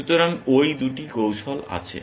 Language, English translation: Bengali, So, those are the 2 strategies